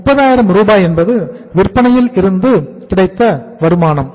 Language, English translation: Tamil, 3 lakhs or 300,000 is the income from the sales